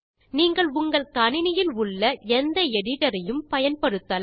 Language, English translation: Tamil, You can use any editor that is installed on your machine